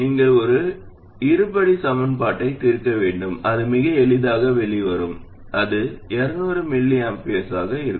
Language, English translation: Tamil, You have to solve a quadratic equation and it comes out quite easily and you will see that that will be 200 microamperors